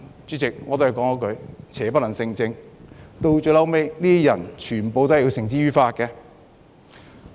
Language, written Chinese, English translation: Cantonese, 主席，邪不能勝正，這些人最後也被繩之於法。, Chairman evil can never prevail over good . These people were ultimately brought to justice and punished by the law